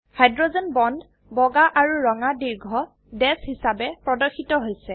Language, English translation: Assamese, The hydrogen bonds are displayed as white and red long dashes